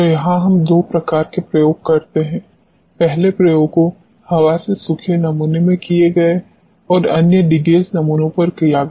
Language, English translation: Hindi, So, here we do two type of experiments; the first experiments done in air dried samples another one is done at the degas samples